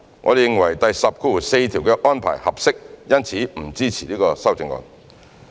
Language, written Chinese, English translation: Cantonese, 我們認為第104條的安排合適，因此不支持此修正案。, As we consider the arrangement under clause 104 appropriate we do not support this amendment